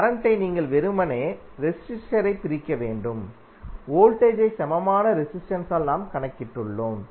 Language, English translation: Tamil, Current you have to just simply divide the resistor, the voltage by equivalent resistance which we have just calculated